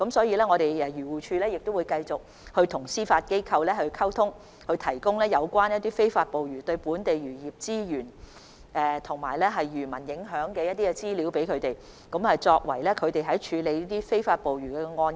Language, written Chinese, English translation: Cantonese, 漁護署會繼續與司法機構保持溝通，並提供有關非法捕魚對本地漁業資源及漁民的影響的參考資料，以便司法機構處理非法捕魚案件。, AFCD will continue to maintain communication with the Judiciary and information on the impact of illegal fishing on local fishery resources and fishermen will be provided to the Judiciary to facilitate its handling of illegal fishing cases